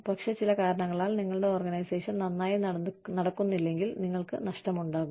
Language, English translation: Malayalam, But, if for some reason, your organization is not doing well, then you stand to lose